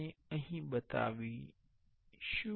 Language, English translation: Gujarati, We will show here